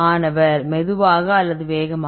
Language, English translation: Tamil, Slow or fast